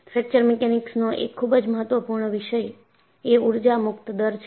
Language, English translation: Gujarati, And, one of the very important topics in Fracture Mechanics is Energy Release Rate